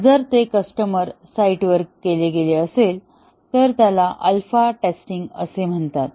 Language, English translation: Marathi, If it is done at the customer site, then it is called as alpha testing